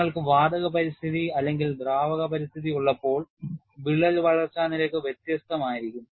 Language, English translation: Malayalam, When you have a gaseous environment, or liquid environment, the crack growth rates are different